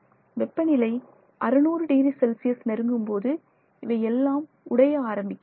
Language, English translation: Tamil, For example, they all start breaking down if you go to temperatures closer to 600 degrees centigrade